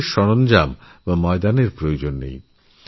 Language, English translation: Bengali, No special tools or fields are needed